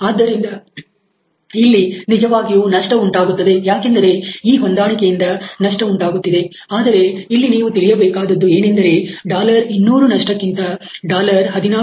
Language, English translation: Kannada, So, this is really the loss which is happening because of this adjustment, but you can understand that losing $16